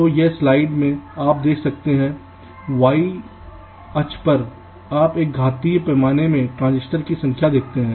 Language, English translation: Hindi, so this light, if you see so, on the y axis you see the number of transistors in an exponential scale